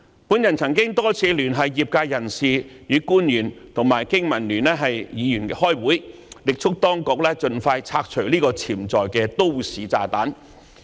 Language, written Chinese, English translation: Cantonese, 我曾多次聯繫業界人士及官員與經民聯議員開會，力促當局盡快拆除這個潛在的都市炸彈。, I have invited industry practitioners and officials to meet with BPA Members many times and we have strongly urged the authorities to remove this potential bomb from the community as soon as possible